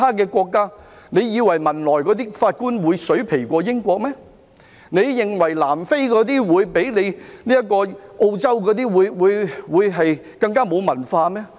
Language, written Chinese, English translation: Cantonese, 難道他們認為汶萊的法官會較英國的法官差，南非的法官會較澳洲的法官更沒有文化嗎？, Do they believe that judges from Brunei are not as competent as those from the United Kingdom or judges from South Africa are less educated than those from Australia?